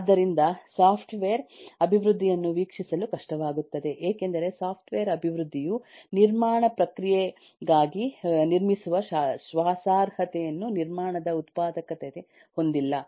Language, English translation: Kannada, so that is what makes it difficult to view software building, software development, as a construction process, because it does not have the reliability, productivity of the manufacturing of construction